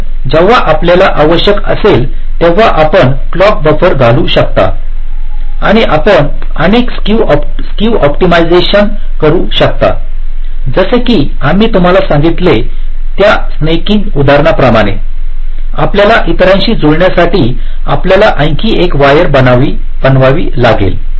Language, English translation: Marathi, ok, so after you do this, so you can insert the clock buffers whenever required and you can carry out several skew optimization, like that snaking example lie we told you about, you may have to make a wire slightly longer to match with the others